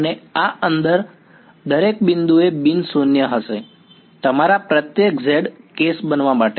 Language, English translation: Gujarati, And, this is going to be non zero at every point inside this, right every of your z to be the case